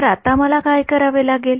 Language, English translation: Marathi, So, now, what do I have to do